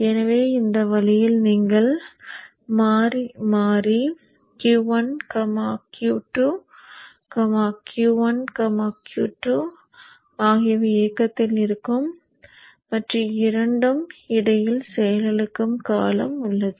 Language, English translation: Tamil, So in this fashion you have alternately Q1, Q2, Q1, Q2 being on and in between there is a period of time when both are off